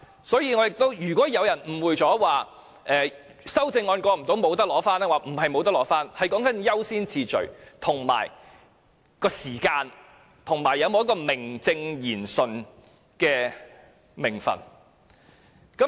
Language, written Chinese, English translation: Cantonese, 所以，如果有人誤會了修正案未能通過，便不能取回骨灰，並非如此，而是優先次序和時間，以及有否名正言順的名份的問題。, Hence it is a misunderstanding that failure of the passage of the Bill means that the ashes cannot be claimed . It is a matter of priority and time and whether some people are given a proper status